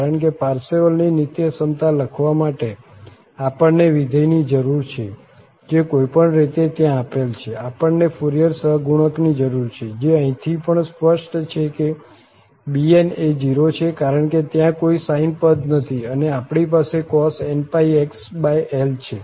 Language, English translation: Gujarati, Because for writing the Parseval's Identity, we need the function which is anyway given there, we need the Fourier coefficient, which is also clear from here the bn's are 0 because there is no sine term and we have cos and pi x over L